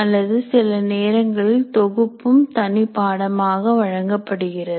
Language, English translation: Tamil, Or sometimes even compilers are offered as an independent course